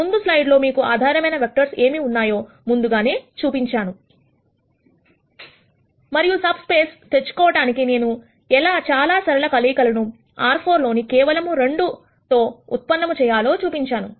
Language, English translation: Telugu, In the previous slide I had already shown you what the basis vectors are and then shown how I could generate many many linear combinations of just 2 in R 4 to get a subspace